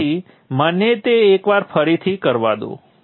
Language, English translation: Gujarati, So let me do that execution once again